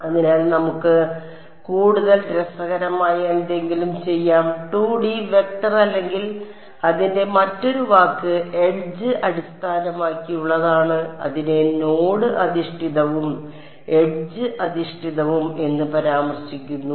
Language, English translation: Malayalam, So, let us do something more interesting 2D vector or the other word for it is edge based in that text it is refer to as node based and edge based ok